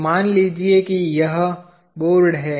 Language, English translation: Hindi, So, let say if this is the board